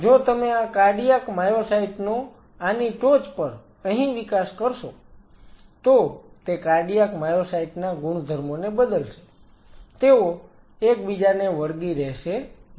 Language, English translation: Gujarati, And if you grow these cardiac myocytes out here on top of this then it will change the properties of cardiac myocyte they will not adhered to each other